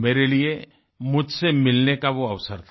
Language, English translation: Hindi, For me, it was an opportunity to meet myself